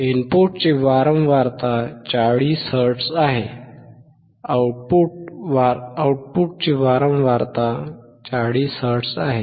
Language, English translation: Marathi, Frequency of input is 40 hertz; output frequency is 40 hertz